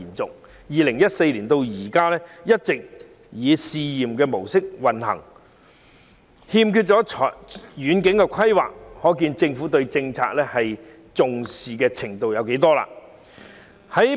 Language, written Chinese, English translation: Cantonese, 自2014年至今，一直以試驗模式運作，欠缺遠景規劃，可見政府並不十分重視這項措施。, The disbursing of cash allowance has been in operation on a trial basis since 2014 without any long - term planning . From this we know that the Government does not attach much importance to such measure